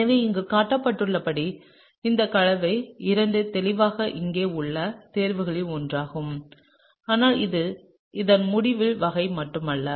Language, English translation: Tamil, So, clearly this compound II as shown here is one of the choices over here, okay, but this is not just the sort of end of this